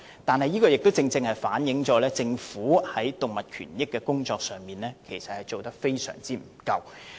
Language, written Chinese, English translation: Cantonese, 然而，這亦正好反映政府在動物權益工作上，做得非常不足。, This rightly reflects that the Government has hardly done enough in respect of animal rights